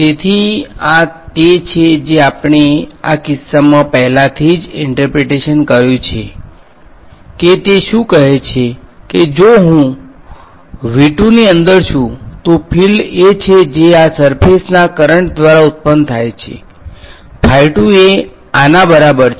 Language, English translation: Gujarati, So, this one is we have already interpreted in this case what is it saying that if I am inside V 2, the field is simply the field that is produced by these surface currents right, phi 2 is equal to this